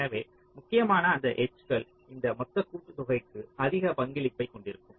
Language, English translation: Tamil, so the edges which are critical, they will be having a higher contribution to this total summation